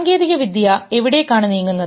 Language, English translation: Malayalam, Where is the technology moving